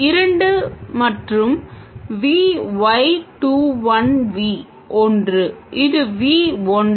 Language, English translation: Tamil, And, Y 2 1 1, where this is V 1